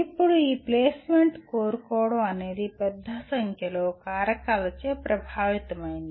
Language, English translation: Telugu, Now this seeking placement is influenced by a large number of factors